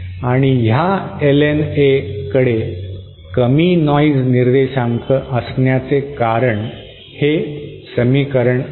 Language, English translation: Marathi, And this LNA because the reason this LNA has to have a low noise figure is because of this equation